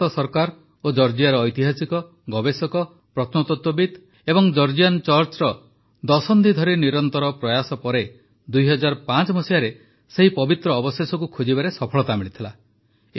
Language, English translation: Odia, After decades of tireless efforts by the Indian government and Georgia's historians, researchers, archaeologists and the Georgian Church, the relics were successfully discovered in 2005